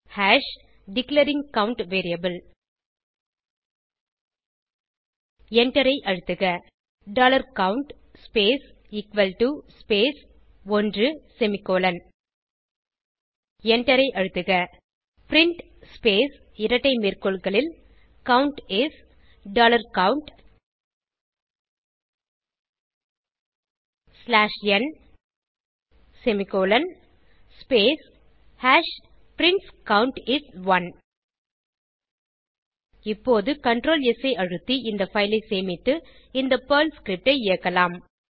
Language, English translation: Tamil, hash Declaring count variable press Enter dollar count space equal to space 1 semicolon press enter print space double quotes Count is dollar count slash n close double quote semicolon space hash prints Count is 1 Now Save this file by pressing ctlr S and execute the Perl script